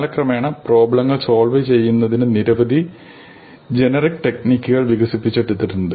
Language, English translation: Malayalam, Over the course of time, many generic techniques have been developed to solve a large number of problems